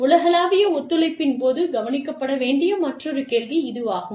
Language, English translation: Tamil, That is another question, to be addressed during, global collaborations